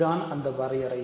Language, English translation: Tamil, So, this is the definition